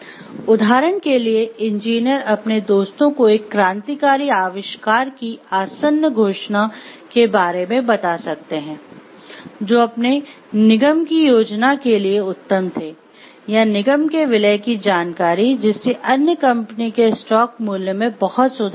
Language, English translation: Hindi, For example, engineers might tell their friends about the impending announcement of a revolutionary invention, which they have been perfecting for their corporations plan or for the corporations plan for a merger that will greatly improve other company’s stock